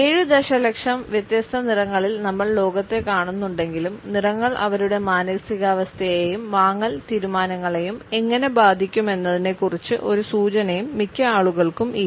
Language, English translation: Malayalam, Although we see the world in 7 million different colors, most people do not have the slightest clue how colors affect their mood and purchasing decisions